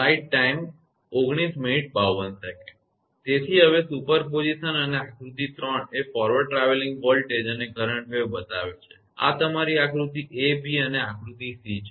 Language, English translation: Gujarati, So, now the super position and figure 3 is shows forward travelling voltage and current wave this is your figure a b and figure c right